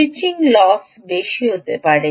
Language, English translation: Bengali, switching glasses can be high